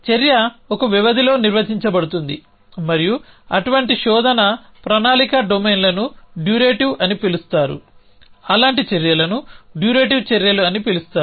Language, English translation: Telugu, So, the action is define over a duration and such search planning domains a called durative such actions a called durative actions